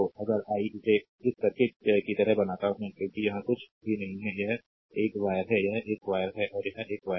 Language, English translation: Hindi, If I make it like this this circuit, because here nothing is there it is ah it is an wire, it is a wire and it is a wire